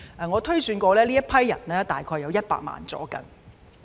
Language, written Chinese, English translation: Cantonese, 我推算過，他們約有100萬人。, According to my estimation there are about 1 million of them